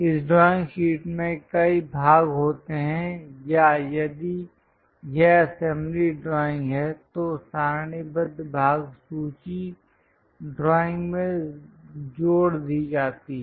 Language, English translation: Hindi, If the drawing contains a number of parts or if it is an assembly drawing a tabulated part list is added to the drawing